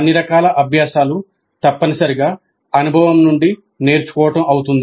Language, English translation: Telugu, All learning is essentially learning from experience